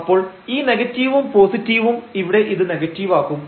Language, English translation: Malayalam, So, this negative positive will make it negative now